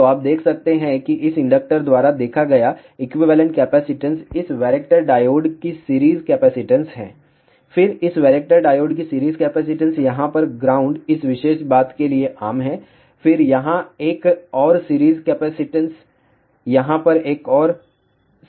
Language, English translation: Hindi, So, you can see that equivalent capacitance seen by this inductor is series capacitance of this varactor diode then series capacitance of this varactor diode, ground over here is common to this particular thing, then another series capacitance over here, another series capacitance over here